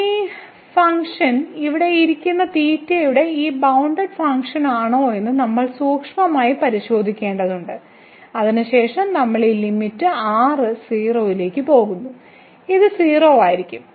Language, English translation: Malayalam, We have to closely look at this function whether if it is a bounded function of theta sitting here and then we are taking this limit goes to 0, then this will be 0